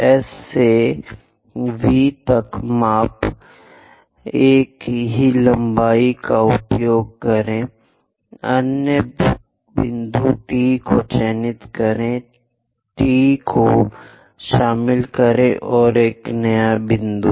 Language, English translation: Hindi, Measure from S dash to V, use the same length; mark other point T dash, join T dash and a new point